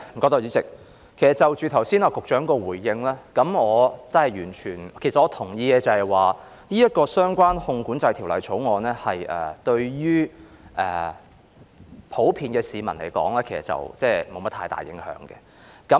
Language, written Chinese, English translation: Cantonese, 代理主席，就局長剛才的回應，我可真的完全......我同意《汞管制條例草案》於普遍市民而言，其實沒有太大影響。, Deputy President regarding the Secretarys response given just now I am indeed totally I agree that the Mercury Control Bill the Bill will not have much impact on the general public